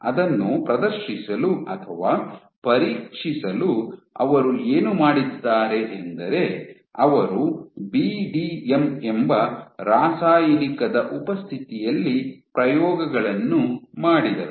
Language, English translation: Kannada, So, to demonstrate that or to test that what they did was they did experiments in the presence of this drug called BDM